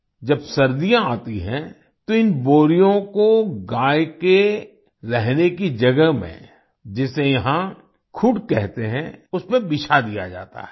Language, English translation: Hindi, When winter comes, these sacks are laid out in the sheds where the cows live, which is called khud here